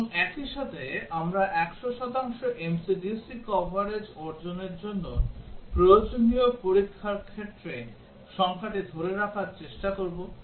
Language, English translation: Bengali, And at the same time, we will try to hold down the number of test cases require to achieve 100 percent MCDC coverage